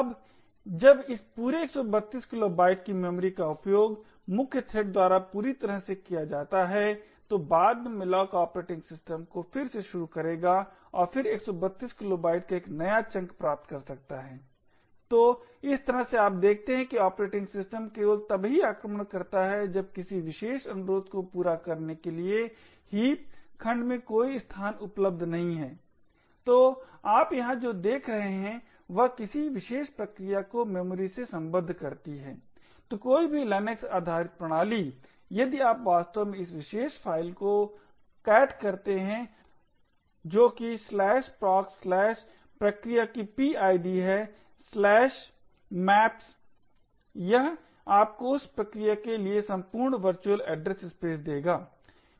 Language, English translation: Hindi, Now when this entire 132 kilobytes of memory is completely utilised by the main thread a subsequent malloc would then invoke the operating system again and then get a new chunk of 132 kilobytes, so in this way you see that the operating system gets invoked only when there is no available space in the heap segment to satisfy a particular request, so what you see over here is the memory map of the particular process, so any Linux based system if you actually cat this particular file that is /proc/<PID of that process>/maps it will give you the entire virtual address space for that particular process